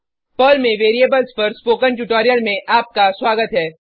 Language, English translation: Hindi, Welcome to the spoken tutorial on Variables in Perl